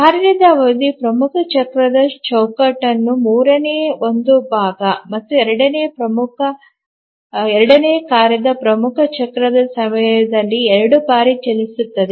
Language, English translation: Kannada, So the period of the task is one third of the frames of the major cycle and the second task runs two times during the major cycle